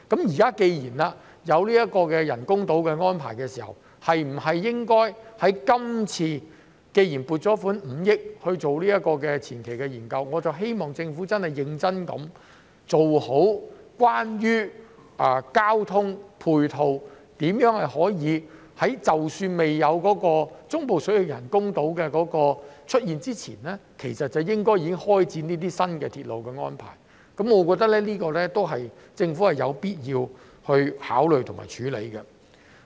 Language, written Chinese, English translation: Cantonese, 現時既然有人工島的計劃，而我們亦已撥款5億元進行前期研究，我希望政府認真研究在交通配套方面，如何可以在中部水域人工島未建成之前，便開始為這些新鐵路作出安排，我認為這是政府有必要考慮和處理的。, Now that there is a plan to develop artificial islands and we have approved this 500 million funding for conducting preliminary studies I hope that the Government will seriously look into how in respect of ancillary transport facilities it can start making arrangements for these new railways before the completion of the artificial islands in the Central Waters . I think this should be taken into consideration and tackled by the Government